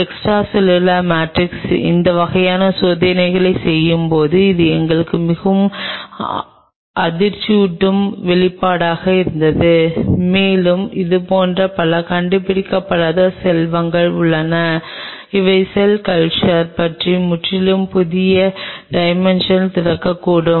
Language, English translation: Tamil, That was a very stunning revelation for us while doing these kinds of experiments on extracellular matrix and I am pretty sure there are many such undiscovered wealth which may open up a totally new dimension about cell culture